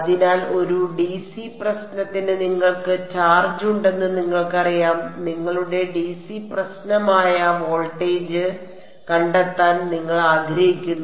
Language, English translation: Malayalam, So, for a dc problem what is the you know you have a charge and you want to find out voltage that is your dc problem